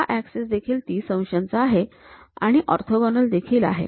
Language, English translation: Marathi, We have this axis is 30 degrees, this axis is also 30 degrees and this is orthogonal